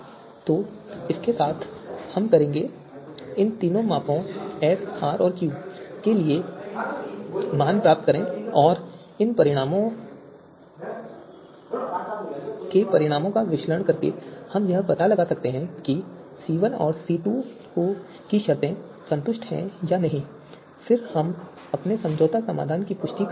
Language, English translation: Hindi, So with that we will get you know the values for these three measures S, R, and Q and by analysing the results of these you know results we can find out if the conditions C1 and C2 are satisfied or not and then we can confirm our compromise solution so this is how this can be done